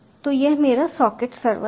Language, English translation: Hindi, so this is my socket server